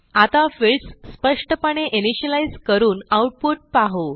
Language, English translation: Marathi, Now, we will initialize the fields explicitly and see the output